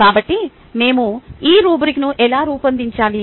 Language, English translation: Telugu, so how do we design this rubric